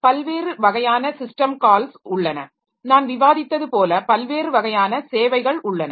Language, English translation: Tamil, There are different types of system call as I was discussing there are different types of services